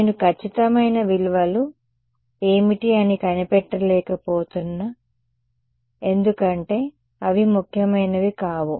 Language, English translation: Telugu, I am not getting into what the precise values are because they are not important ok